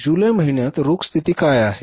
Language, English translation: Marathi, What is the cash position in the month of July